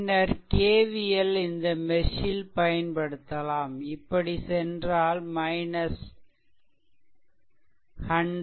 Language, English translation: Tamil, If you apply KVL in mesh 2, so same way you can move